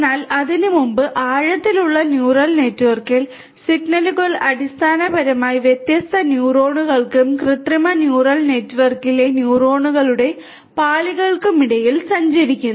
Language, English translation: Malayalam, But before that, so in a deep neural network, the signals basically travel between different neurons and layers of neurons in artificial neural network